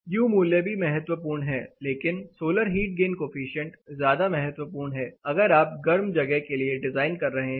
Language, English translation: Hindi, U value is also crucial, but solar heat gain coefficient takes the front seat, if you are designing for a hotter location